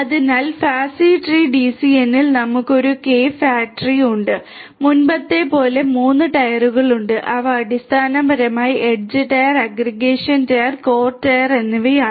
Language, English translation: Malayalam, So, in the fat tree DCN we have a K ary fat tree, there are 3 tiers like before which are basically the edge tier, the aggregation tier and the core tier